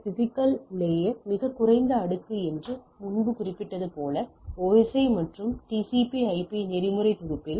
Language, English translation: Tamil, As I mentioned earlier that physical layer is the lowest layer in the OSI and TCP/IP protocol suite